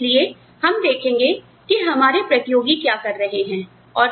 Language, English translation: Hindi, So, we will see, what our competitors are doing